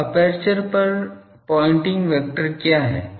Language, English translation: Hindi, Now, pointing vector over aperture is what